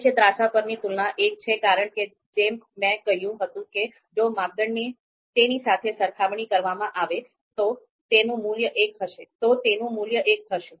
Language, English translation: Gujarati, Comparisons on the main diagonal are one as I said a criterion if it is compared with itself that value is going to be one